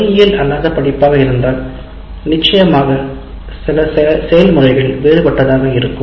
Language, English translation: Tamil, If it is a non engineering course, some of these processes will be different